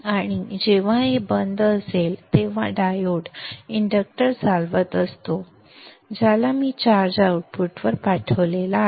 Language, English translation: Marathi, And whenever this is off, the pole, the diode is conducting, the inductor will charge to the, which will send the charge to the output